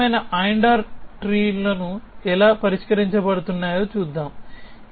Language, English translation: Telugu, We will see how this kind of AND OR trees is a tackled